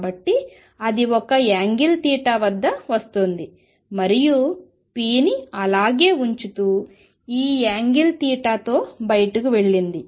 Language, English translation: Telugu, So, it was coming at an angle theta and went out at this angle theta, keeping the p the same